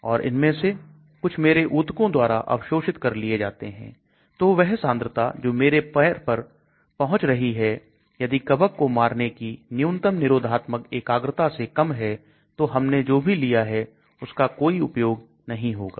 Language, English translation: Hindi, Some of them might get absorbed in my tissues and so the concentration that is reaching my foot if it is less than the minimum inhibitory concentration required to kill the fungus whatever I have taken is of no use